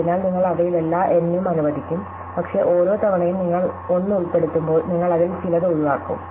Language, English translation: Malayalam, So, at most you will allocate all N of them, but in each time once you rule include 1, you will rule out a few